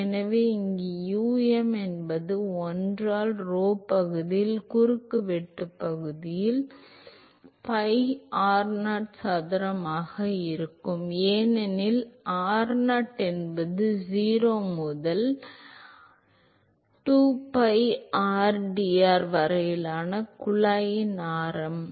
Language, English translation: Tamil, So, I can plug that in here u m will be 1 by rho area of cross sectional area is pi r0 square because r0 is the radius of the tube integral 0 to r rho u 2 pi rdr